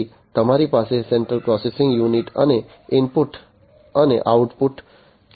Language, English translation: Gujarati, Then you have the central processing unit and the input and output